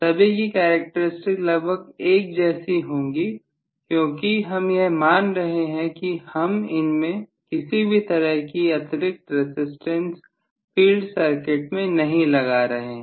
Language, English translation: Hindi, All of them are going to have almost similar characteristic because I am assuming that I am not including any extra resistance in the field circuit that is what I am assuming